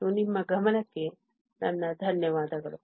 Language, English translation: Kannada, And I thank you for your attention